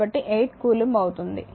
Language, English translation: Telugu, So, total will be 8